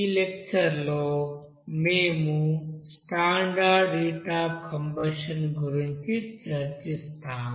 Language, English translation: Telugu, In this lecture we will try to discuss about that standard heat of combustion